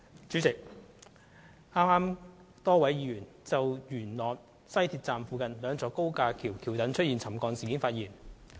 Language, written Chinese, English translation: Cantonese, 主席，剛才，多位議員就西鐵元朗站附近兩座高架橋橋躉的沉降事件發言。, President just now a number of Members spoke on the incident involving the subsidence of two viaduct piers near Yuen Long Station of the West Rail Line